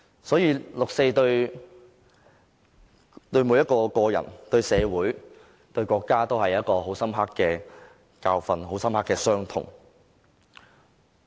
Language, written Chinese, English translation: Cantonese, 所以，六四對每一個人、對社會、對國家，都是很深刻的教訓和傷痛。, Therefore the 4 June incident is a profound lesson and wound to every individual the community and the country alike